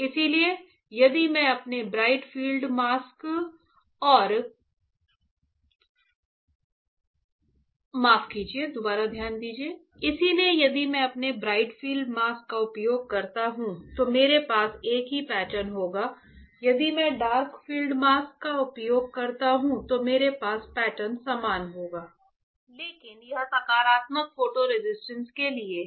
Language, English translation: Hindi, So, if I use my bright field mask, I will have the same pattern if I use dark field mask I will have my same pattern, but this is for positive photo resist; this is for positive photo resist right